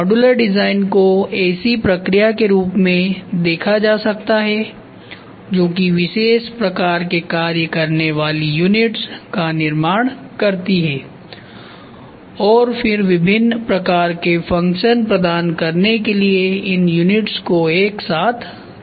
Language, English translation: Hindi, Modular design can be viewed as the process of producing units that perform discrete function and then connecting the units together to provide a variety of function